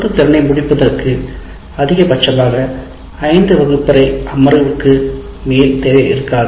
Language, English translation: Tamil, So one competency is, will never take more than five classroom sessions